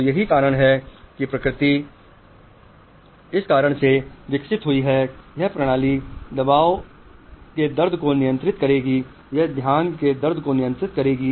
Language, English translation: Hindi, So that is why nature has evolved in such a way that, okay, this system will control the pleasure pain, this will control the attention is pain